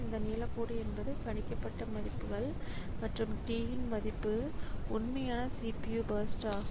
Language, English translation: Tamil, sorry, this blue line is the tau values the predicted values and T value is the actual CPU burst